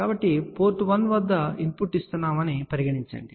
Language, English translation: Telugu, So, let us start with let us say we are giving the input at port 1